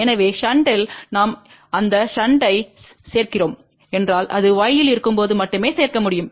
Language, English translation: Tamil, So, in shunt if we are adding that shunt we can add only when it is in y